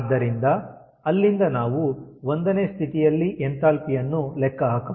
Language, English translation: Kannada, so from there, ah, we can calculate at state point one, the enthalpy we can calculate